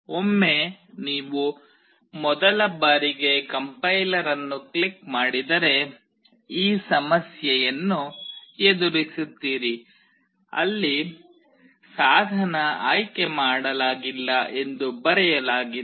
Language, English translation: Kannada, Once you click on Complier for the first time, those who are doing will come across this problem where you will see that it is written No Device Selected